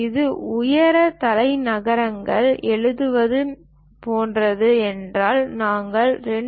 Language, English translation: Tamil, If it is something like lettering height capitals, we use 2